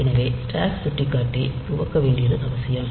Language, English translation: Tamil, So, it is important to initialize the stack pointer